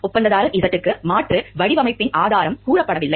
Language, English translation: Tamil, Contractor Z is not told the source of alternative design